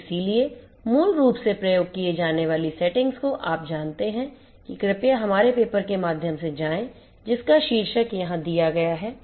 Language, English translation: Hindi, And therefore, experiment settings basically you know please go through our paper which is the title of which is given over here